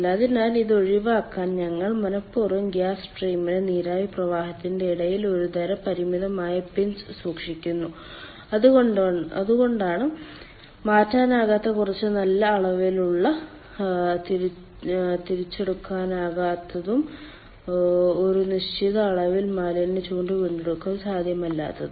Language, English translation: Malayalam, so to avoid this we intentionally keep some sort of a finite pinch between the ah gas stream and the vapour stream and thats why there will be irreversibility, ah, some good amount of irreversibility, and certain amount of waste heat recovery will not be possible